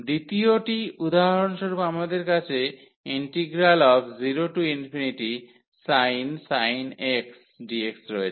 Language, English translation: Bengali, The second for example, we have 0 to infinity and sin pi dx